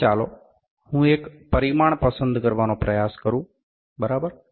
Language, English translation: Gujarati, So, let me try to pick one dimension, ok